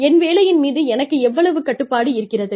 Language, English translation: Tamil, How much of control, i have, over my job